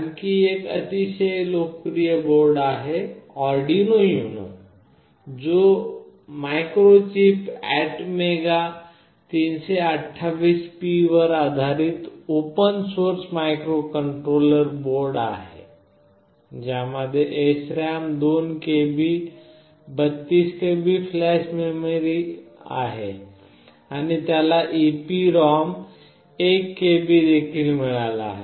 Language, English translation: Marathi, Another very popular board is Arduino UNO, which is a open source microcontroller board based on Microchip ATmega328P; it has got 2 KB of SRAM and 32 KB of flash, it has also got 1 KB of EEPROM